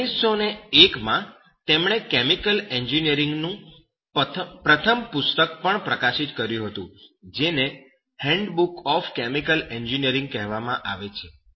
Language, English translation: Gujarati, And in 1901, he also published the first book in chemical engineering that is called “Handbook of Chemical Engineering